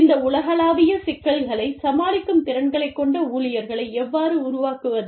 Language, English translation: Tamil, How do you, make the employees, capable of dealing with these, global problems